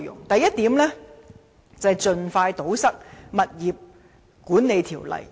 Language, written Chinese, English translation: Cantonese, 第一，盡快堵塞《建築物管理條例》的漏洞。, First to expeditiously plug the loopholes of the Building Management Ordinance BMO